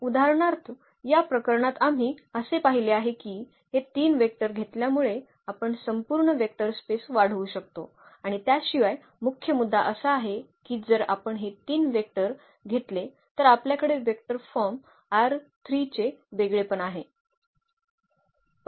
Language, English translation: Marathi, So, for instance in this case we have observed that taking these 3 vectors we can span the whole vector space and also the moreover the main point is that we have also the unique representation of the vector form R 3 if we take these 3 vectors